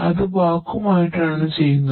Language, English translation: Malayalam, That is under the vacuum